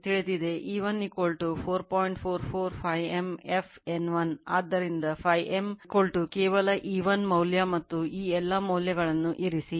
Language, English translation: Kannada, 44 phi m f into N 1 therefore, phi m is equal to you just put E 1 value and all these values